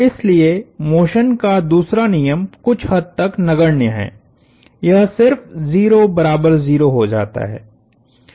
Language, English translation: Hindi, Therefore, the second law of motion is somewhat trivial; it just becomes 0 equals 0